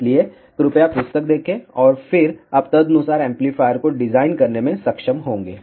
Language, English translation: Hindi, So, please see the book and then you will be able to design the amplifier accordingly